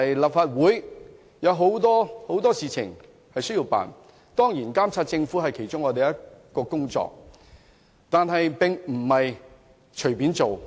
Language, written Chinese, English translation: Cantonese, 立法會有很多事情要處理，當然，監察政府是我們的工作之一，但我們不能夠隨隨便便。, The Legislative Council has many business to deal with . Though monitoring the Government is one of our duties we cannot take it casually